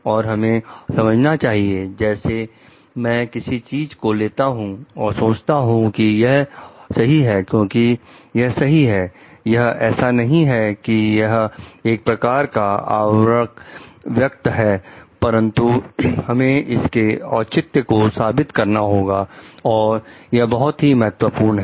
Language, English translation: Hindi, And like we have to understand like, if I take something is I think it to be right because, it is right, it is not like we should be making a covering statement like that, but we need to justify; that is very important